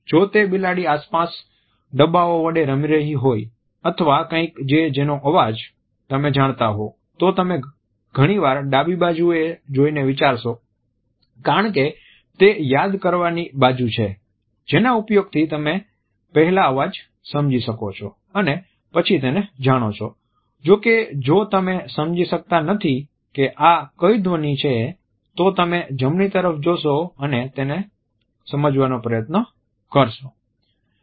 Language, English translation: Gujarati, If it’s the cats playing around with bins or something that you know the sound of you are quite often look to the side to the left because this is your recall site its a sound you understand then you know; however, if its a sound you do not understand and you do not know you look to the right and try and work out what